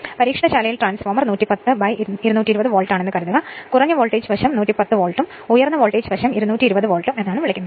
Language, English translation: Malayalam, Suppose your transformer is 110 by 220 Volt in the laboratory say then, low voltage side is 110 Volt and high voltage side is your what you call 220 Volt